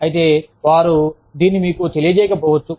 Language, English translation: Telugu, But then, they may not communicate this, to you